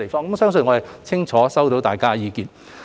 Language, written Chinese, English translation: Cantonese, 我相信我們已清楚知道大家的意見。, I believe we are well aware of Members views